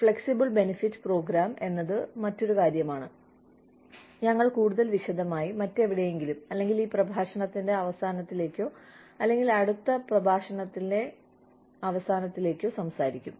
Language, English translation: Malayalam, Flexible benefits program is something, we will talk about in a greater detail, some other time, or maybe towards the end of this lecture, or maybe the end of next lecture